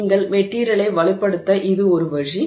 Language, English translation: Tamil, So, this is one way in which you can strengthen the material